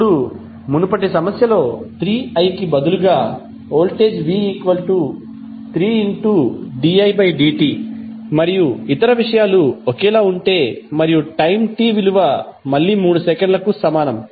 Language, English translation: Telugu, Now, if in the previous problem if voltage is given like 3 di by dt instead of 3i and other things are same and time t is equal to again 3 millisecond